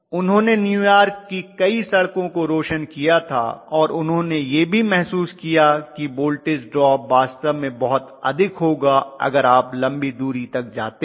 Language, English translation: Hindi, They lit up many streets, streets in New York and ultimately they also realized that the voltage drop is really really large as you go to longer distances